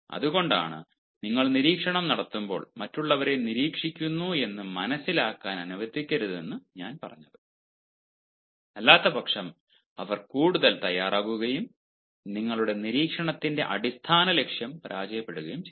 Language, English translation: Malayalam, that is why i said, when you are making observation, let others not understand that they are being observed, otherwise, ah, they will get more prepared and the basic purpose of your observation will be defeated